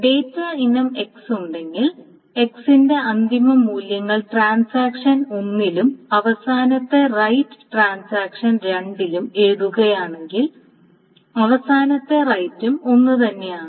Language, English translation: Malayalam, Number two, if there is a data item X and the final rights, the written values that X is written to by transaction 1 and the final right by transaction 2, the final rights are also the same